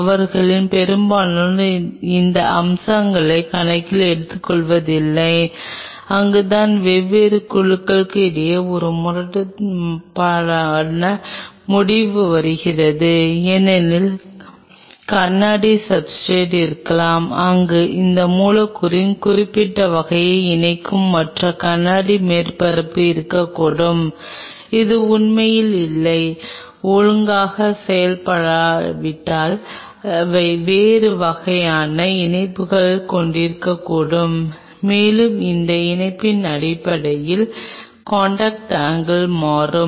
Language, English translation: Tamil, Most of them do not take these aspects into account and that is where comes a conflicting result between different groups because there maybe glass substrate, where there be certain kind of attachment of these molecules there can be other glass surface, which has not been really a kind of processed properly they may have a different kind of attachment and based on those attachment the contact angle will change